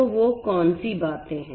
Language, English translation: Hindi, So, what are those many things